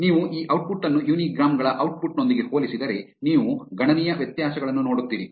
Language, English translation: Kannada, If you compare this output with the output of the uni grams, you will see considerable differences